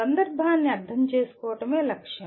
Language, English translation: Telugu, The goal is to understand the context